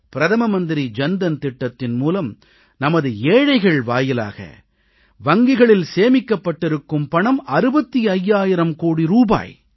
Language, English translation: Tamil, In the Pradhan Mantri Jan Dhan Yojna, almost 65 thousand crore rupees have deposited in banks by our underprivileged brethren